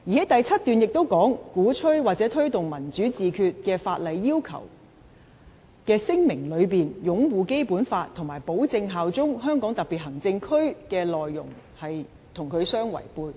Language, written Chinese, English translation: Cantonese, "第七段亦指出："鼓吹或推動'民主自決'與法例要求之聲明內擁護《基本法》和保證效忠香港特別行政區的內容相違背"。, Paragraph seven also states [A]dvocating or promoting self - determination is contrary to the content of the declaration that the law requires a candidate to make to uphold the Basic Law and pledge allegiance to HKSAR